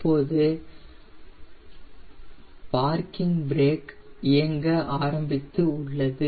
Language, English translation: Tamil, the parking brake is on now